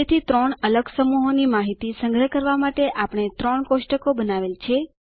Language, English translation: Gujarati, So we created three tables to store three different sets of information